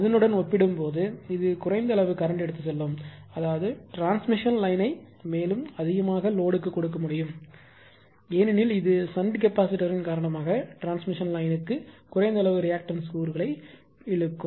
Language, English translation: Tamil, It will it it it will carry less amount of current I write compared to that; that means, transmission line can be further over further loaded because it will draw less amount of reactive component of the current to the transmission line because of the shunt capacitor